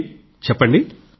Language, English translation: Telugu, Yes Akhil, tell me